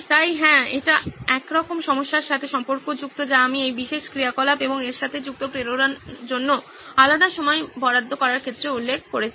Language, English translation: Bengali, So yeah, it somehow ties in with the problem that I mentioned in terms of allotting separate time to do this particular activity and the motivation associated with it